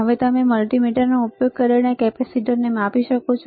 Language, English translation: Gujarati, Now can you measure the capacitor using the this multimeter